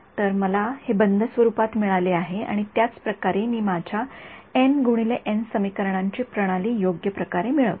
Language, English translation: Marathi, So, I get it in close form right that is how I get my N by N system of equations right